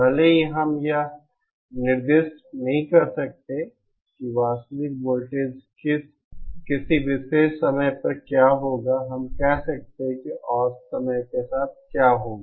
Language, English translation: Hindi, Even though we cannot exactly specify what the real voltage will be at a particular instant of time, we can say what the average will be over time